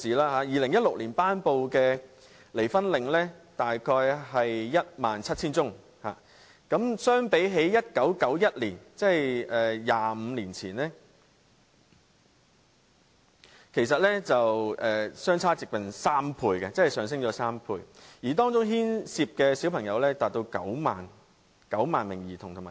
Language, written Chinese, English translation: Cantonese, 在2016年，法庭頒布離婚令的個案數目約為 17,000 宗，相比1991年，即25年前，上升了差不多兩倍，而當中牽涉的兒童和青少年達到9萬名。, In 2016 the number of cases in which divorce decrees were granted by the court was about 17 000 and compared with the figure in 1991 ie . 25 years ago it has increased almost two times . In these cases the number of children and youths involved was 90 000